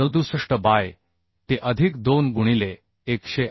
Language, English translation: Marathi, 67 by t plus 2 into 108